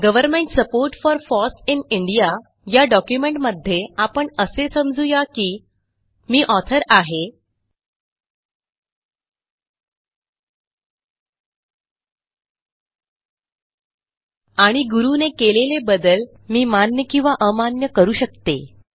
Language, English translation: Marathi, In the same document, Government support for FOSS in India.odt, lets assume I am the author and will accept or reject the edits made by Guru